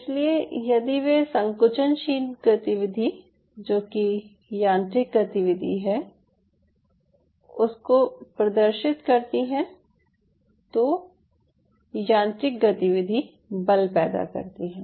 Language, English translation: Hindi, so if they show contractile activity, which is mechanical activity, anything will show